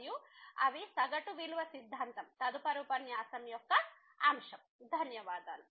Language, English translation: Telugu, And, those are the mean value theorem the topic of the next lecture